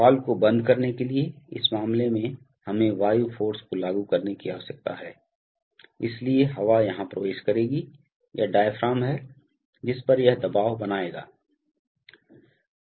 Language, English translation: Hindi, In this case for closing the valve we need to apply air force, so the air will enter here, this is the diaphragm on which it will create a pressure